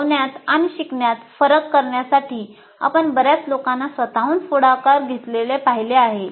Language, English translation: Marathi, We have seen so many people taking initiatives on their own to make a difference to the teaching and learning